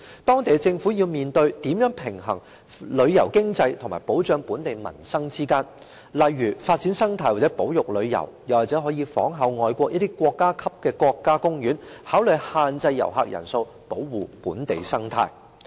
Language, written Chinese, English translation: Cantonese, 當地政府要面對如何平衡旅遊經濟和保障本地民生，例如發展生態或保育旅遊，又或仿效外國一些國家級的國家公園，考慮限制遊客人數，保護本地生態。, Such is the case in Venice of Italy Japan Thailand etc . Local governments must strike a balance between tourism economy and local livelihood by for example developing ecology or conservation tourism or restricting the number of visitors just like the national parks in some countries to protect the local ecology